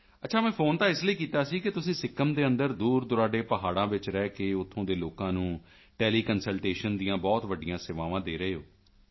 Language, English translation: Punjabi, Well, I called because you are providing great services of teleconsultation to the people of Sikkim, living in remote mountains